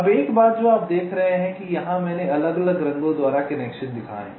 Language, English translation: Hindi, now one thing: you see that here i have shown the connections by different colors